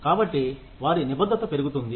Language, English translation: Telugu, So, their commitment increases